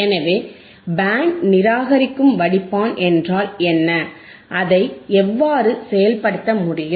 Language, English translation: Tamil, So, what are band reject filters and how it can be implemented